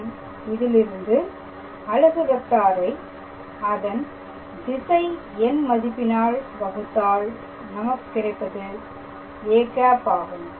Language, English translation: Tamil, And from there we have to calculate the unit vector should be divided it by its magnitude and that gave us the give us a cap